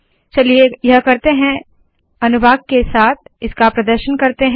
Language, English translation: Hindi, So let us do that, let us demonstrate this with section